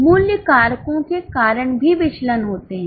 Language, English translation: Hindi, There are also variances because of price factors